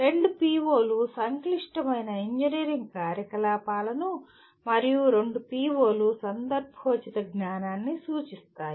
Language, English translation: Telugu, Two POs mention complex engineering activities and two POs mention contextual knowledge